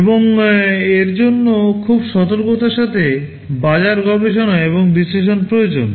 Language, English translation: Bengali, And this requires very careful market study and analysis